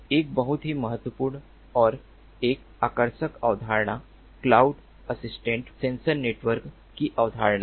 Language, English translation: Hindi, a very important and an attractive concept is the concept of cloud assisted sensor network